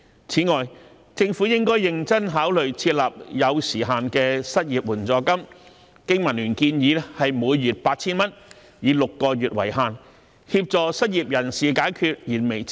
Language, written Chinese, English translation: Cantonese, 此外，政府亦應該認真考慮設立有時限的失業援助金，經民聯建議金額為每月 8,000 元，以6個月為限，協助失業人士解決燃眉之急。, In addition the Government should also seriously consider establishing a time - limited unemployment assistance for which BPA suggests a monthly amount of 8,000 for up to six months so as to help the unemployed meet their imminent needs